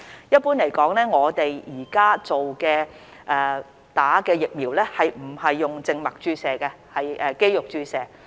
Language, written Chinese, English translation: Cantonese, 一般來說，我們目前並非以靜脈注射方式接種疫苗，而是肌肉注射。, Generally speaking the vaccines are currently administered not via the intravenous route but by intramuscular injection